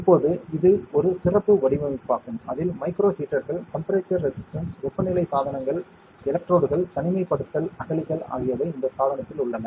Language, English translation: Tamil, Now, this is a special design, where that incorporates micro heaters, temperature resistance temperature devices electrodes, isolation trenches a lot of things on this device